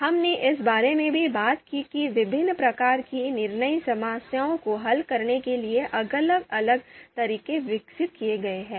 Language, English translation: Hindi, We also talked about that different methods have been developed for solving different types of decision problems, so that has been discussed as well